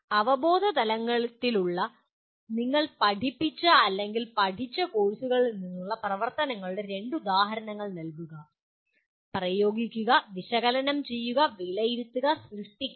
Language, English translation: Malayalam, Give two examples of activities from the courses you taught or learnt that belong to the cognitive levels; Apply, Analyze, Evaluate, and Create